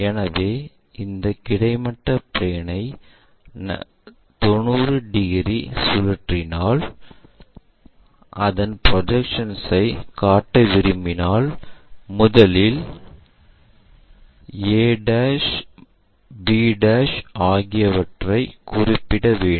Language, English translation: Tamil, So, if we are rotating this horizontal plane by 90 degrees would like to show the projections what we do is, first we locate a', b', a'